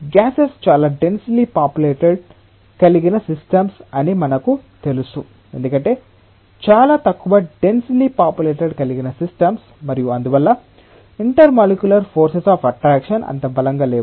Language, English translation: Telugu, Because we know that gases are much densely populated systems much less densely populated system and therefore, intermolecular forces of attraction are not that strong